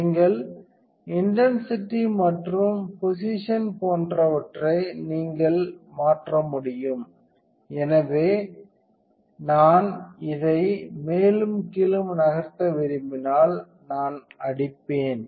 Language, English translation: Tamil, You can also adjust the intensity you can also adjust the position, so if I want to move this one up and down I will hit the right